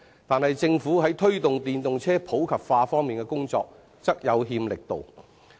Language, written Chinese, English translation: Cantonese, 但是，政府在推動電動車普及化方面的工作則有欠力度。, In contrast the Governments efforts to promote the popularization of EVs have not been strong enough